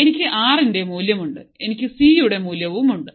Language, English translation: Malayalam, Now, R 1 is given; R 2 is given; C is given right